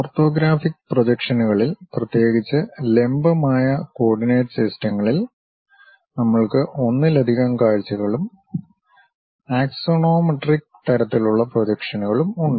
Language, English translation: Malayalam, In orthographic projections, especially in perpendicular kind of coordinate systems; we have multi views and axonometric kind of projections